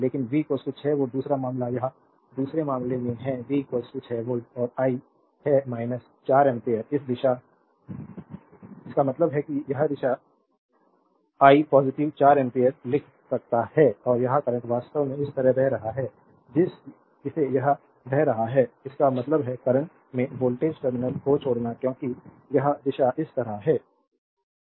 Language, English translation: Hindi, So, V is equal to 6 volts second case it is in the second case V is equal to 6 volt and I is minus 4 ampere this direction; that means, this direction I is equal to I can write positive 4 ampere and this current actually is flowing like this it is flowing like this; that means, the current actually leaving the voltage terminal because it is direction is like this